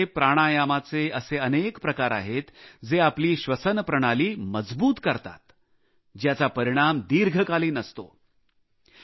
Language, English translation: Marathi, In yoga, there are many types of Pranayama that strengthen the respiratory system; the beneficial effects of which we have been witnessing for long